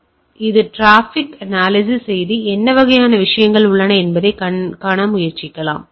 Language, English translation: Tamil, So, it can analyse the traffic and try to see that what sort of things are there